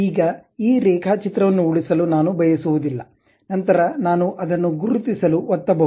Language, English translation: Kannada, Now, I do not want to save this drawing, then I can straight away click mark it